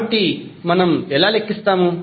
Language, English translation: Telugu, So, how we will calculate